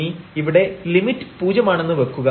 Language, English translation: Malayalam, So, here this limit will go to 0